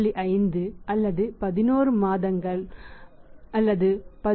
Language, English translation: Tamil, 50 or 11 months 11